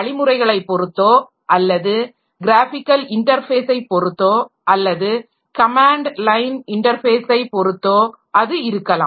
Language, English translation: Tamil, So, as far as the commands are concerned or is it based on some graphical interface or command line interface